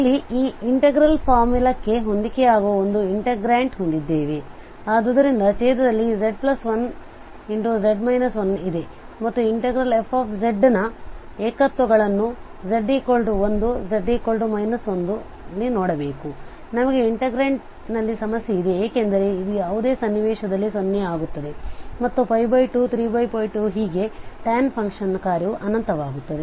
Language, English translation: Kannada, So in that case we have a integrant which is matching with this integral formula, so in the denominator we have this z plus 1, z minus 1 and we should look now first the singularities of this fz the integrant fz is the integrant, so naturally the z is equal to 1, z is equal to minus 1 we have the problem in the integrant because this will go to 0 in either situation and then this pi by 2, 3 pi by 2 and so on the tan function will be become infinity